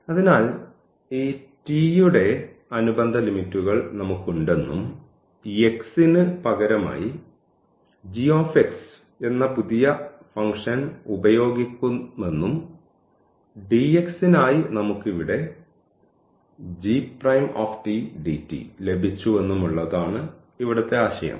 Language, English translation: Malayalam, So, the idea used to be that we have the corresponding limits now of this t and this x was substituted by the new function this g t and for dx we have got here g prime t dt